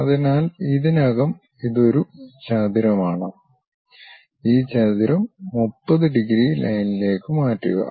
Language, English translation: Malayalam, So, already it is a rectangle, transfer this rectangle onto a 30 degrees line